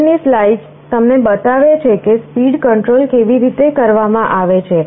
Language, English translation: Gujarati, The next slide actually shows you how the speed control is done